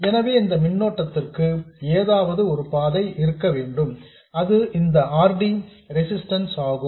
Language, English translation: Tamil, So there has to be some path for this current and that is this resistance, RD